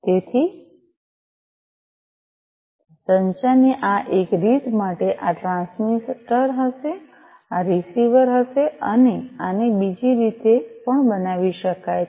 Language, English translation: Gujarati, So, for you know for this one way of communication this will be the transmitter this will be the receiver and this could be made the other way as well